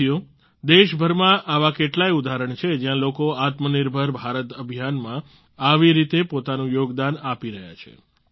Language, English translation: Gujarati, there are many examples across the country where people are contributing in a similar manner to the 'Atmanirbhar Bharat Abhiyan'